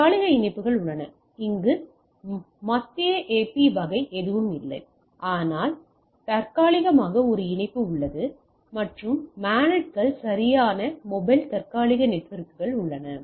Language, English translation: Tamil, There is a Ad hoc connections where there is no per say there is no central AP sort of thing, but there is a connection which is Ad hoc and there is MANETs right mobile Ad hoc networks